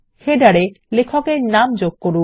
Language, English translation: Bengali, Insert the author name in the header